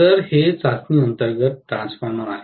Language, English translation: Marathi, So, this is the transformer under test